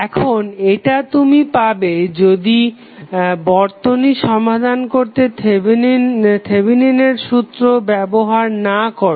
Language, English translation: Bengali, Now, this is what you got when you did not apply Thevenin theorem to solve this particular circuit